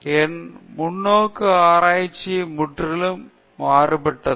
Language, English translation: Tamil, So, my perspective on research was completely altogether different